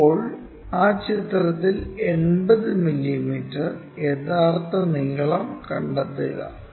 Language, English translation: Malayalam, Now, locate 80 mm true length, 80 mm true length on that picture